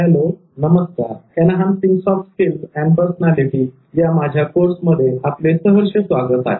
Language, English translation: Marathi, Hello and welcome back to my course on enhancing soft skills and personality